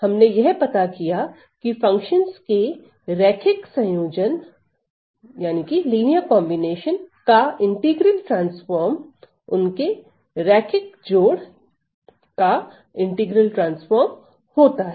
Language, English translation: Hindi, We have found that the integral transforms of the linear combination of the functions is the linear combination of the corresponding integral transforms